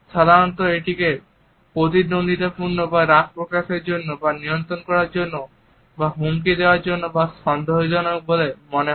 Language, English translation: Bengali, Normally it is perceived to be hostile or angry or controlling or threatening or even doubting